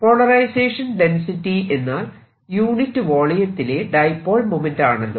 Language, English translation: Malayalam, by polarization we mean dipole moment per unit volume